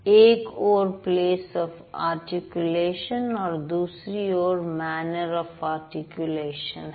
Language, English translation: Hindi, One is called place of articulation and the other one is called manner of articulation